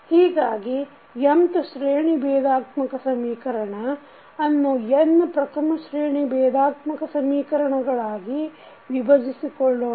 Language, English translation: Kannada, So, an nth order differential equation can be decomposed into n first order differential equations